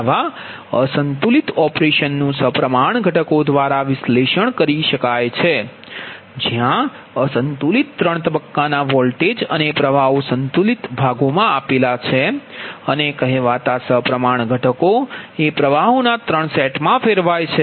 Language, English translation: Gujarati, such an unbalanced operation can be analyzed through symmetrical components, where the unbalanced three phase voltages and currents are transformed in to three sets of balanced voltages and currents called symmetrical components